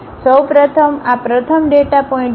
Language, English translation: Gujarati, First of all this is the first data point